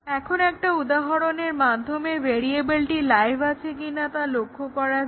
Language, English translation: Bengali, Now, let us see with respect to an example if a variable is live or not